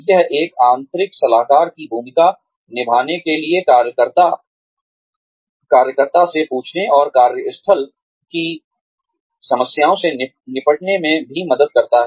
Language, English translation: Hindi, It also helps, to ask the worker, to take on the role, of an internal consultant, and tackle workplace problems